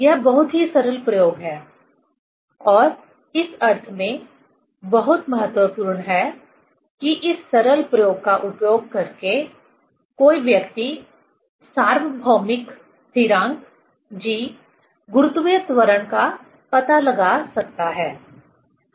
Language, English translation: Hindi, This is very simple experiment and is very important in the sense that using this simple experiment, one can find out the universal constant g, acceleration due to gravity, right